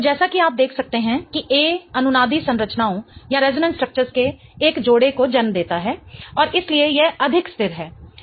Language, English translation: Hindi, So, as you can see A gives rise to a couple of resonant structures and that's why it is more stable